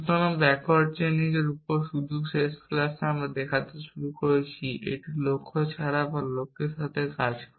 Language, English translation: Bengali, So, backward chaining we just started looking at in the last class it works with goals by goals